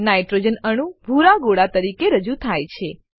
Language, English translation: Gujarati, Nitrogen atom is represented as blue sphere